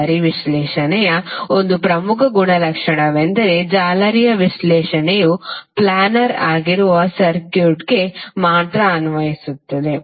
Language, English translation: Kannada, One of the important property of mesh analysis is that, mesh analysis is only applicable to the circuit that is planer